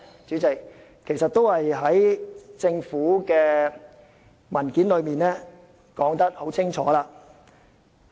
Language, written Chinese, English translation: Cantonese, 主席，其實政府的文件已清楚說明。, President the Governments paper has actually given a clear explanation